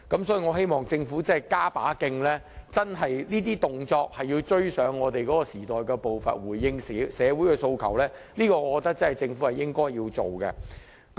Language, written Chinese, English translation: Cantonese, 所以，我希望政府加把勁，這些行動要追上時代步伐，回應社會訴求，我覺得這是政府應該做的事情。, In this connection I hope that the Government will step up efforts to ensure that these actions can catch up with the pace of the times in order to respond to the aspirations of soceity . I think this is what the Government should do